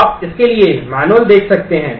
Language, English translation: Hindi, So, you can look up the manual for that